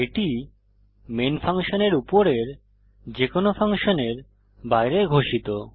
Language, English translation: Bengali, These are declared outside any functions above main() funtion